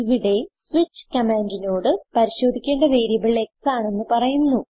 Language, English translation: Malayalam, Here, we tell the switch command that the variable to be checked is x